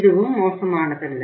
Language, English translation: Tamil, This is also not bad